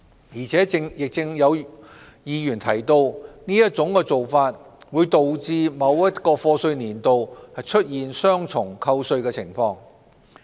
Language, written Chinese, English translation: Cantonese, 而且亦有議員提到，這種做法會導致某一課稅年度出現雙重扣稅的情況。, Moreover some Members have mentioned that this practice will result in double deductions of tax for a particular year of assessment